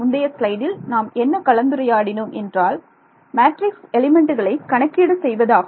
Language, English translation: Tamil, What we just discussed in the previous slide that is calculating the matrix elements it is called matrix assembly